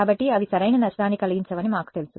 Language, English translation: Telugu, So, we know that they do not cause damage right